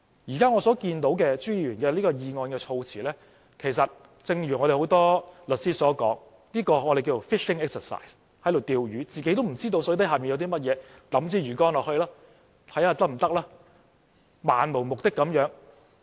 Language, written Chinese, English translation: Cantonese, 我現在看到朱議員的議案措辭，就正如很多律師所說的 "fishing exercise"， 是在釣魚，自己也不知道水底有甚麼，只是拋出魚竿漫無目的嘗試。, As I look at the wording of the motion by Mr CHU I think it looks like the fishing exercise as described by lawyers―he is fishing but he himself does not know what is in the water and all he does is to cast his fishing rod aimlessly to give it a try